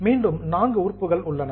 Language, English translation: Tamil, Again you have got 4 items